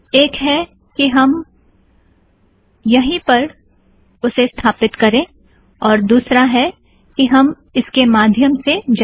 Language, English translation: Hindi, One is too install it here and the other one is to go through this